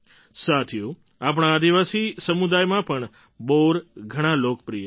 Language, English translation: Gujarati, Friends, in our tribal communities, Ber fruit has always been very popular